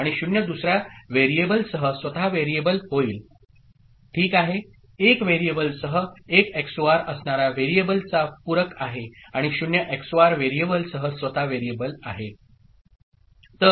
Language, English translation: Marathi, And 0 with another variable will be the variable itself ok, one with 1 XOR with the variable is complement of the variable, and 0 XOR with the variable is the variable itself